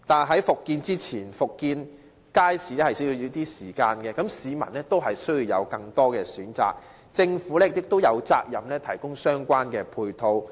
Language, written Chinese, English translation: Cantonese, 可是，復建街市需要一段時間，而在此之前，市民亦需要有更多選擇，政府亦有責任提供相關配套。, Nevertheless it will take some time to resume the construction of markets . In the meanwhile members of the public need more choices and the Government is duty - bound to provide the relevant ancillary facilities